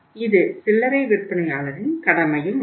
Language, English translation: Tamil, It is the duty of the retailer also